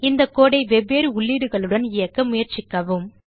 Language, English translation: Tamil, Try executing this code with different set of inputs